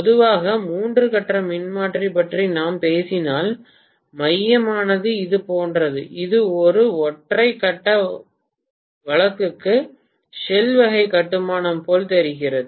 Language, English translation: Tamil, That is the reason why normally if we are talking about the three phase transformer the core is somewhat like this, it looks like a shell type construction for a single phase case